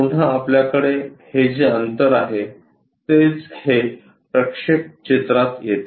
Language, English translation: Marathi, And this gap whatever we have there again, this projection really comes into picture